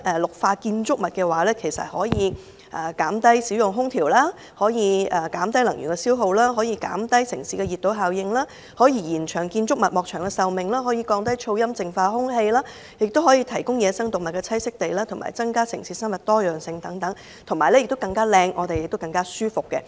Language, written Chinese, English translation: Cantonese, 綠化建築物可減低使用空調、減低能源消耗、減低城市熱島效應、延長建築物及外牆的壽命、降低噪音和淨化空氣、提供野生動物的棲息地、增加城市生物多樣性，令城市更美麗，市民生活更舒適。, Green buildings can reduce the use of air - conditioning and lower energy consumption thereby reducing the heat island effect; they can prolong the life of buildings and their external walls reduce noise nuisances and purify air . Green buildings can also provide dwellings for wild animals and increase biodiversity in the city and make our city more beautiful and provide a better living place for the people